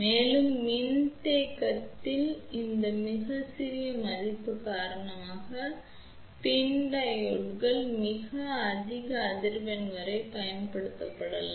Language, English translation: Tamil, And, because of this very small value of the capacitance PIN diodes can be used up to very high frequency ok